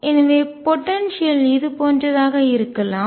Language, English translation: Tamil, So, potential could be something like this